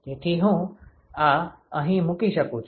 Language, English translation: Gujarati, So, I can plug this in here